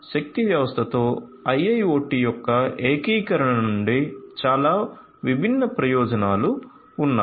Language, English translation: Telugu, So many different benefits exist from the integration of IIoT with power system